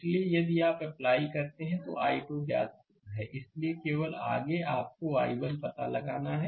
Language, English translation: Hindi, So, if you apply; so, i 2 is known, so, only next is you have to find out i 1